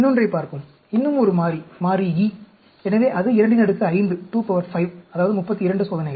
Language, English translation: Tamil, Let us look at another, one more variable, variable E; so, that is 2 power 5, that is 32 experiments